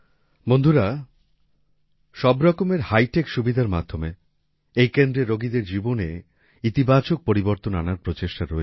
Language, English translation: Bengali, Friends, through all kinds of hitech facilities, this centre also tries to bring a positive change in the lives of the patients